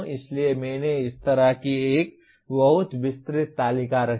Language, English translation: Hindi, So I put a very elaborate table like this